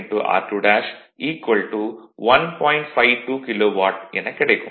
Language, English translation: Tamil, 52 kilo watt right